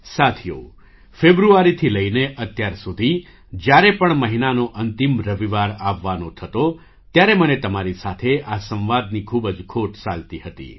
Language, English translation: Gujarati, Friends, since February until now, whenever the last Sunday of the month would come, I would miss this dialogue with you a lot